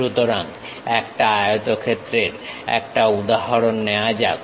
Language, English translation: Bengali, So, let us take an example a rectangle